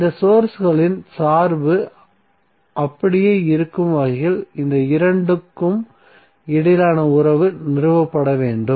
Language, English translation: Tamil, And the relationship these two should be stabilize in such a way that the dependency of these sources is intact